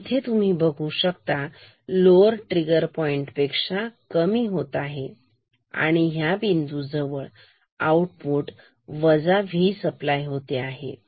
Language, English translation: Marathi, So, say here it goes down below lower trigger point then the output at this point will go to minus V supply